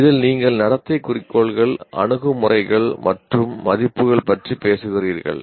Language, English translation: Tamil, Now these are related to your talking about behavioral goals, attitudes and values